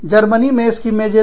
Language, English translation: Hindi, In Germany, Schimmengelt